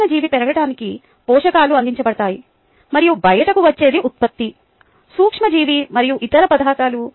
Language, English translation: Telugu, nutrients are provided for the micro organism to grow and what is what comes out is a product, the microorganism in other materials